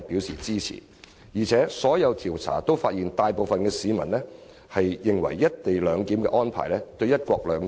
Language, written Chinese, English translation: Cantonese, 所有調查亦發現，大部分市民認為"一地兩檢"安排不會影響"一國兩制"。, All of these polls also found that most members of the public believe the co - location arrangement will have no impact on one country two systems